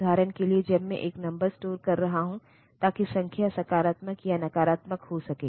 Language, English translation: Hindi, For example, when I am storing a number; so that the number may be the number may be positive or negative